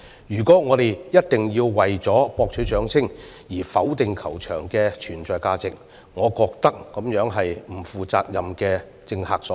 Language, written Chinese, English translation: Cantonese, 如果我們一定要為博取掌聲而否定球場的存在價值，我認為是不負責任的政客所為。, If we are dead set on dismissing the value of existence of the golf course for the sake of winning applause I will see it as an act by irresponsible politicos